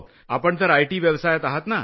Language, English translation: Marathi, You are from the IT profession,